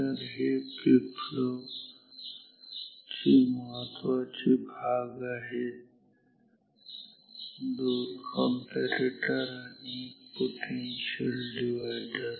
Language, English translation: Marathi, So, these are the main ingredients of these flip flop two comparators, one potential divider